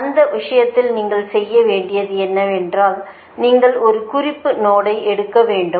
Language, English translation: Tamil, in that case what you have to do is that you take a reference node